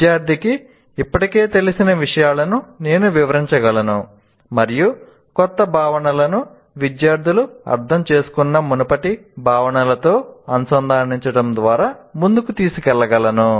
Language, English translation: Telugu, So, I can relate what the student already knew and take it forward and linking the new concepts to the previous concepts the student has understood